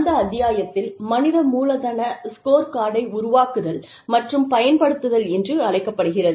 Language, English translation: Tamil, And, the chapter is called, Creating and Using the Human Capital Scorecard